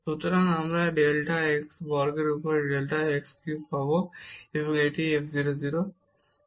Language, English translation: Bengali, So, we will get delta x cube over this delta x square, and this is f 0 0